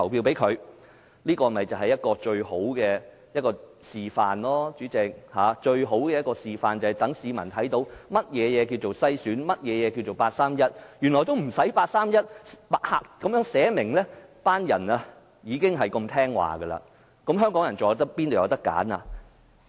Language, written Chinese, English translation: Cantonese, 代理主席，這就是一個最好的示範，讓市民看到何謂篩選及八三一框架，原來八三一框架沒有列明，那些人已經如此順從，香港人又怎會有選擇呢？, Deputy President this is the best demonstration for the public to know what screening and the 31 August framework are . Without explicit rules generated from the 31 August framework those people are already acting so obediently . Will there be choices for the Hong Kong people?